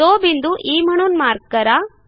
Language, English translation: Marathi, Lets mark this point as E